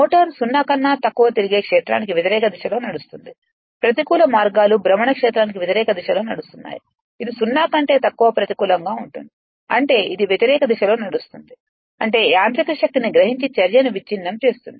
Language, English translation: Telugu, The motor runs in opposite direction to the rotating field that is less than 0, negative means is running in opposite direction to the rotating field that is n less than 0 negative means it is running in the opposite direction right absorbing mechanical power that is breaking action which is dissipated as heat in the rotor copper right only